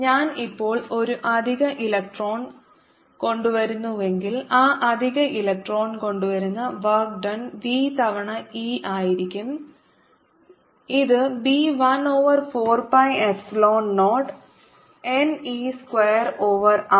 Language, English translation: Malayalam, if i bring an extra electron now, so the work done, bringing that extra electron is going to be v times e, which is going to b one over four pi, epsilon zero, n, e square over r